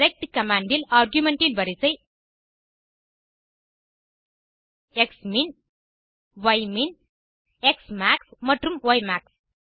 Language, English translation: Tamil, The order of argument in the rect command is xmin, ymin, xmax and ymax